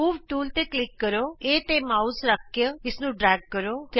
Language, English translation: Punjabi, Click on the Move tool, place the mouse pointer on A and drag it with the mouse